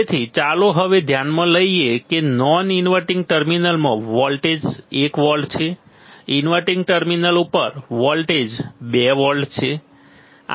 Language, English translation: Gujarati, So, let us now consider that my V non inverting that is voltage in non inverting terminal is 1 volt voltage at inverting terminal is 2 volt